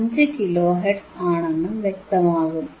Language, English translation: Malayalam, 5 kilo hertz, alright